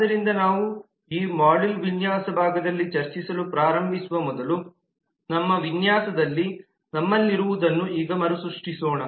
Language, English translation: Kannada, so before we start discussing on this module the design part let us recap what we have in our design by now